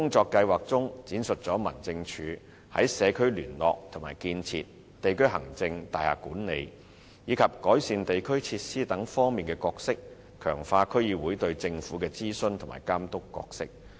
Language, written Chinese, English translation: Cantonese, 年度工作計劃闡述民政處在社區聯絡和建設、地區行政、大廈管理，以及改善地區設施等方面的工作，強化區議會對政府的諮詢及監督角色。, Annual work plans will outline the tasks of DOs in such aspects as community liaison and building district administration building management and improvement of district facilities thereby strengthening the advisory and supervisory role of DCs in government affairs